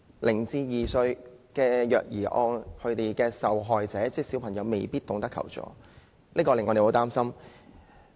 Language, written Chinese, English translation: Cantonese, 0至2歲虐兒案的受害者未必懂得求助，這點令人十分擔心。, Child abuse victims aged 0 to 2 may not know how to seek help which is very worrying